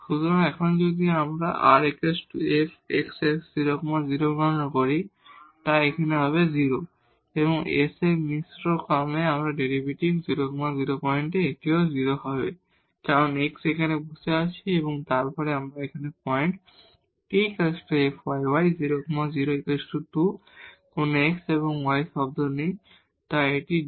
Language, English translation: Bengali, So now, if we compute this r at 0 0 point this will be 0, the s at this the mixed order partial derivative at 0 0 point, this will be also 0 because x is sitting here and then at this point again this f yy, this is 2 there is no x and y term, so this is 2